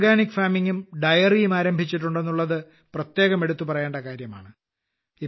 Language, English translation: Malayalam, The special thing is that they have also started Organic Farming and Dairy